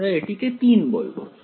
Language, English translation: Bengali, So, let us call this 3